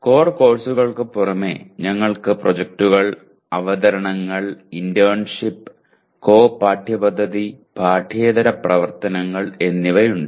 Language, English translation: Malayalam, And so in addition to core courses we have projects, presentations, internship, co curricular and extra curricular activities